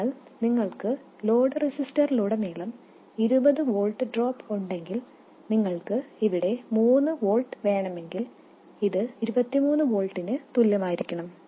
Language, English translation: Malayalam, So, if you have a 20 volt drop across the load register and you want 3 volts here, this should be equal to 23 volts